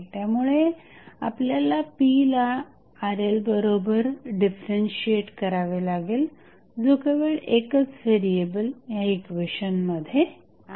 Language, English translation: Marathi, So, what we have to do now, we have to differentiate the power p with respect to Rl which is the only variable in this particular equation